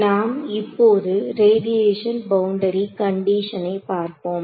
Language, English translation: Tamil, Let us look at the Radiation Boundary Conditions now